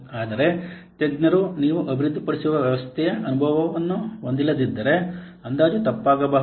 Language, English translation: Kannada, But if the experts they don't have experience of the system that you are developing, then the estimation may be wrong